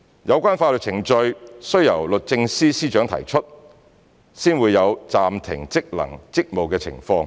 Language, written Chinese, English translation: Cantonese, 有關法律程序須由律政司司長提出，方會有暫停職能/職務的情況。, The relevant legal proceedings must be brought by SJ before the functions and duties are suspended